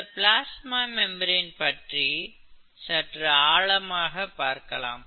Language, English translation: Tamil, So I am taking a part of the plasma membrane, a two dimensional view